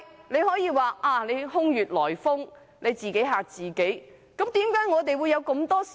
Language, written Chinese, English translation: Cantonese, 你可以說這是空穴來風，自己嚇自己，但我們真的有無數疑問。, You may dismiss it as a groundless rumour and we are just scaring ourselves but we do have countless questions